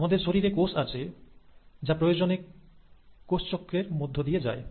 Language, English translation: Bengali, So, there are cells in our body which will undergo cell cycle, if the need arises